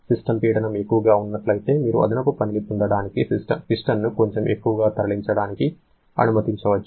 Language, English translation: Telugu, If the system pressure is higher, you can allow the piston to move a bit more to get some additional work